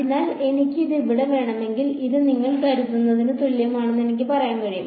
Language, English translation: Malayalam, So, if I want this over here so, I can say this is equal to what do you think it will be